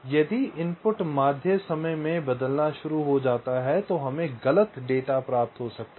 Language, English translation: Hindi, if the input starts changing in the mean time, then there can be wrong data getting in